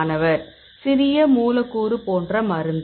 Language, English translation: Tamil, a drug like small molecule